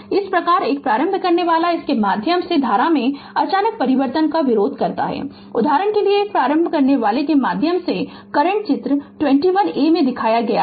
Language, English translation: Hindi, Thus, an inductor opposes an abrupt change in the current through it; for example, the current through an inductor may take the form shown in figure 21a